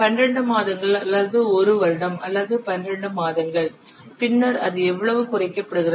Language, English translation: Tamil, So originally it was how much 12 months or one year or 12 months and then it is subsequently reduced to how much six months